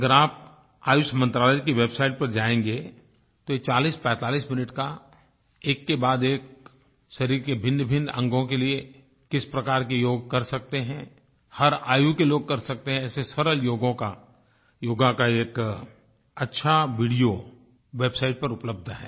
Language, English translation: Hindi, If you go to the website of the Ministry of Ayush, you will see available there a 4045 minutes very good video demonstrating one after another, different kinds of yog asanas for different parts of the body that you can do, people of all ages can do